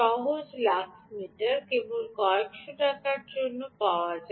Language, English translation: Bengali, simple lux meter is just available for a few hundred rupees